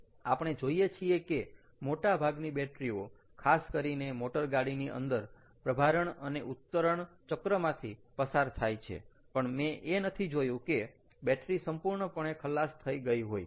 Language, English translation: Gujarati, typically, of course, they go through charging and discharging cycles in the car, but i really dont see when the battery has been completely drained